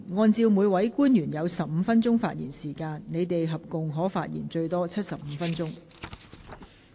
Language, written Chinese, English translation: Cantonese, 按照每位官員有15分鐘發言時間計算，他們合共可發言最多75分鐘。, On the basis of the 15 - minute speaking time for each officer they may speak for up to a total of 75 minutes